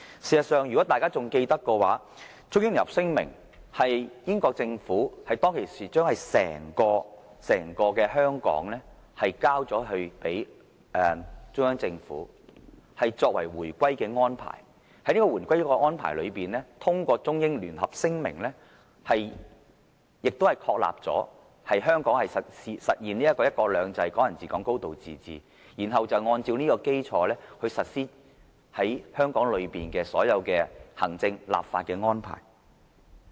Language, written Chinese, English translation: Cantonese, 事實上，如果大家仍記得，《中英聯合聲明》是英國政府當時將整個香港交還中央政府，作為回歸的安排，在這個回歸的安排中，通過《中英聯合聲明》確立香港實現"一國兩制"、"港人治港"、"高度自治"，然後按這基礎來實施於香港內的所有行政、立法安排。, Members may still recall that the Sino - British Joint Declaration is the arrangement for the British Government to return Hong Kong to the Central Government . The Joint Declaration as an arrangement for returning Hong Kong to China establishes the principles of implementing one country two systems Hong Kong people ruling Hong Kong and a high degree of autonomy in Hong Kong . On the basis of these principles the executive and legislative mechanisms of Hong Kong are designed and implemented